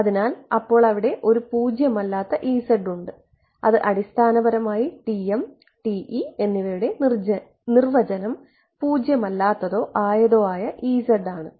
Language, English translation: Malayalam, So, there is a non zero E z or not that is yeah that is basically the definition of TM and TE whether non zero E z or not fine